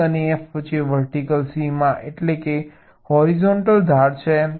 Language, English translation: Gujarati, vertical boundary means horizontal edge